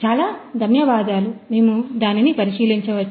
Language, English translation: Telugu, So, thank you so much can we have a look at the